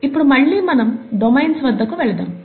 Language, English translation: Telugu, Now let’s get back to domains